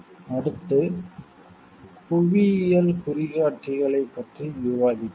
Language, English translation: Tamil, Next we will discuss about geographical indications